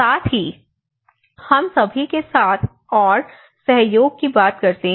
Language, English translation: Hindi, Also, we all talk about the collaboration and cooperation